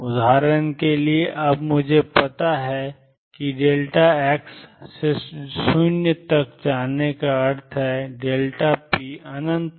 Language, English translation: Hindi, For example, now I know that delta x going to 0 means delta p goes to infinity